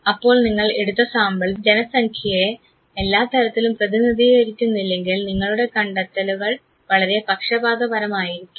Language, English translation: Malayalam, So, if you have not drawn your sample which is a representative of the population then you are findings might be very biased